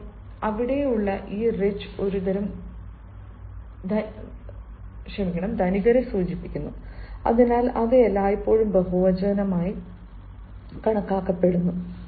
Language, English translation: Malayalam, so this rich there denotes ah, a sort of class of rich people, so that that is always taken in ah as taken as plural